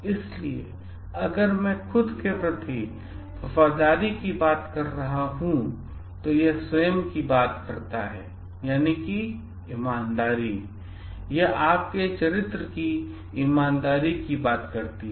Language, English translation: Hindi, So, if I am talking of loyalty to myself, then it talks of self integrity, it talks of the honesty of your character